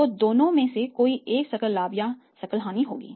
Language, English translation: Hindi, So, either of the two will be there is a gross profit will be there or gross loss will be there right